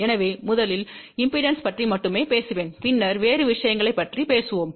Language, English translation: Tamil, So, let me first talk about only impedance and then we will talk about other thing